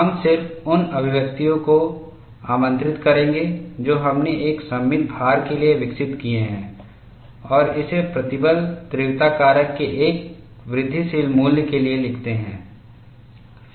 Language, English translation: Hindi, We would just invoke the expressions that we have developed for a symmetric load, and write this for an incremental value of stress intensity factor